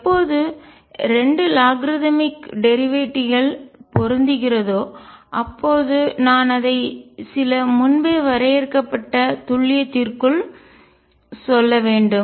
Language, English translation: Tamil, When the 2 logarithmic derivatives match, and I have to say it within some predefined accuracy